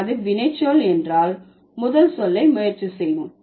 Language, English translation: Tamil, If it is a verb, let's try the first word